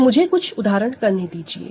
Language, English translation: Hindi, So, let me do a few examples